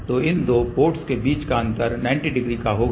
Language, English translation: Hindi, So, between these two ports phase difference will be 90 degree